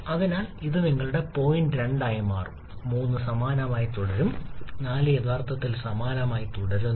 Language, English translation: Malayalam, So, this will become your point 2 prime and 3 remains the same, 4 actually also remains the same